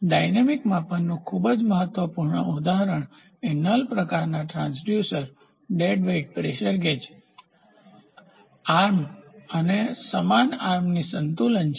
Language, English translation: Gujarati, So, dynamic measurement is very vital example for null type transducer induces dead weight pressure gauges and arm and equal arm balances